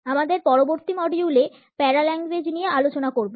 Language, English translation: Bengali, In my next module, I would take up paralanguage for discussions